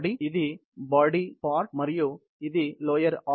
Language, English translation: Telugu, Let’s say, this is the body portion and this is the lower arm